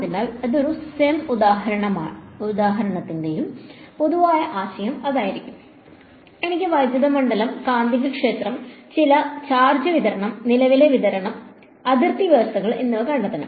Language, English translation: Malayalam, So, that will be the general idea of any cem example right, I want to find out the electric field, magnetic field given some charge distribution, current distribution, boundary conditions blah blah right